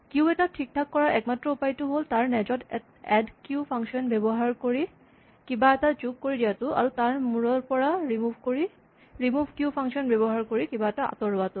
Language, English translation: Assamese, Likewise, for a queue the only way we can modify a queue is to add something to the tail of the queue using the function add q and remove the element at the head of the queue using the function remove q